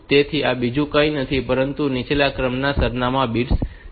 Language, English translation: Gujarati, So, this is nothing, but the lower order address bits